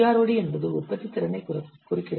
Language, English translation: Tamil, And the prod stands for the productivity